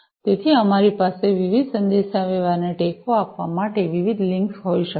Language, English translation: Gujarati, So, we can have different links for you know supporting different communication